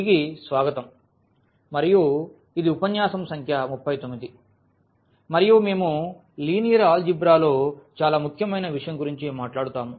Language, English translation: Telugu, So, welcome back and this is lecture number 39 and we will be talking about a very important topic in Linear Algebra that is a Vector Spaces